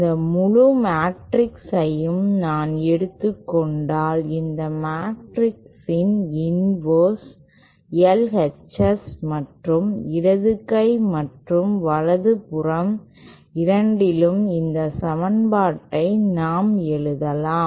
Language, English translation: Tamil, If I just take this whole matrix the inverse of this matrix on both the L H S and left hand side and the right hand side then we can simply write this equation as